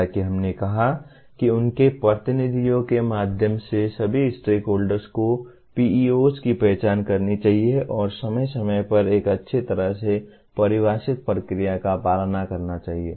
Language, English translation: Hindi, As we said all stakeholders through their representatives should identify the PEOs and review them periodically following a well defined process